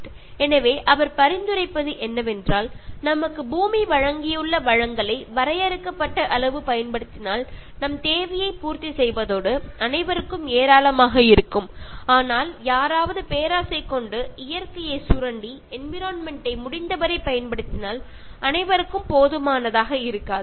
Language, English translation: Tamil, ” So, if you can make limited use of the resources which earth provides us, to satisfy our need all of us will have in plenty, but if somebody is greedy and wants to exploit nature, use the environment as much as possible, then all of us will not have enough so that is what he is suggesting